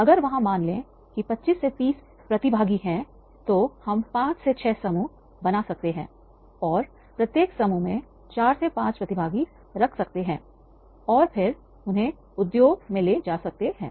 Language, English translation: Hindi, If there are suppose 25 to 30 participants we can make a group of 5 to 6 with each group with the 4 5 participants and take them to the industry